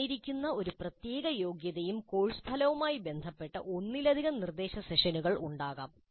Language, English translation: Malayalam, And corresponding to one particular given competency or course outcome, there may be multiple instruction sessions